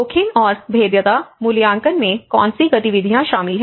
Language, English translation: Hindi, What are the activities that include in the risk and vulnerability assessment